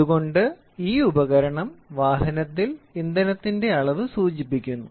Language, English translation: Malayalam, So, the entire device is indicating the level of fuel present in the vehicle